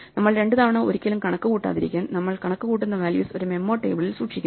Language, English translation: Malayalam, And to never compute something twice, we store the values we compute in what we call a memo table this is called memoization